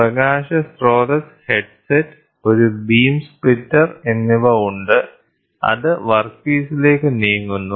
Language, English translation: Malayalam, So, light source headset then, there is a beam splitter; so then it moves towards it moves towards the workpiece